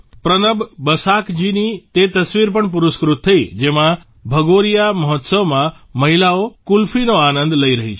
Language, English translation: Gujarati, A picture by PranabBasaakji, in which women are enjoying Qulfi during the Bhagoriya festival, was also awarded